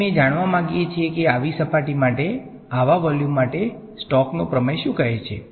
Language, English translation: Gujarati, And we want to know what is the Stoke’s theorem saying for such a volume for such a surface over here right